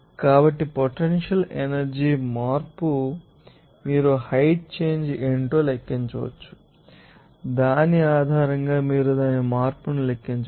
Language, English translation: Telugu, So, potential energy change you can calculate what should be the, you know, height change based on which you can calculate its change